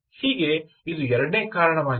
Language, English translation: Kannada, so thats the second reason